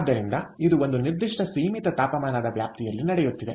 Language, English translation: Kannada, so it is happening over a certain finite temperature range